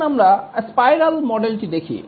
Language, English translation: Bengali, Now let's look at the spiral model